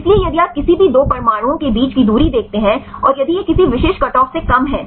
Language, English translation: Hindi, So, if you see the distance between any 2 atoms, and if we less than any specific cutoff right